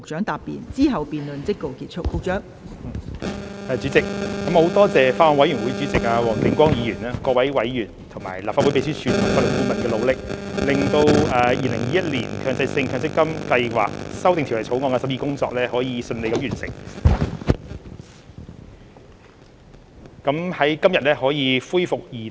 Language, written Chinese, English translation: Cantonese, 代理主席，我感謝法案委員會主席黃定光議員、各位委員，以及立法會秘書處和法律顧問的努力，令《2021年強制性公積金計劃條例草案》的審議工作得以順利完成，今日可以恢復二讀。, Deputy President I would like to thank the Chairman of the Bills Committee Mr WONG Ting - kwong members of the Bills Committee as well as the Legislative Council Secretariat and the Legal Adviser for their efforts which have enabled the smooth completion of the scrutiny of the Mandatory Provident Fund Schemes Amendment Bill 2021 the Bill and the resumption of its Second Reading today